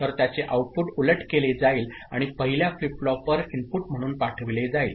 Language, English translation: Marathi, So, the output of it is inverted and sent as input to the first flip flop